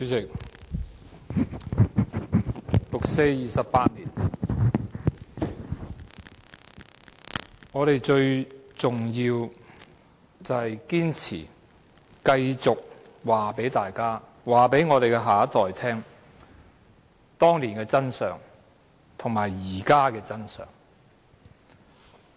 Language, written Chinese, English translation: Cantonese, 主席，六四28周年，我們最重要是堅持繼續告訴大家、告訴我們的下一代，當年的真相和現在的真相。, President on the 28 anniversary of the 4 June incident our most important task is to insist on telling the people and the next generation what really happened back then and what is happening now